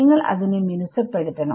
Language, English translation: Malayalam, So, you should smooth over it